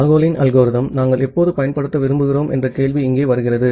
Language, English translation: Tamil, The question comes here that we want to use Nagle’s algorithm all the time